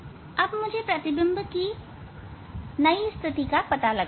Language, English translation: Hindi, Now I have to find out the new image position